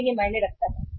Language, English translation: Hindi, But it matters